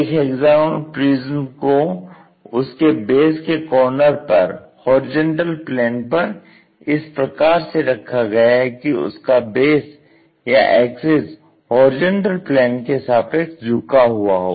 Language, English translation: Hindi, A hexagonal prism has to be placed with a corner on base of the horizontal plane, such that base or axis is inclined to horizontal plane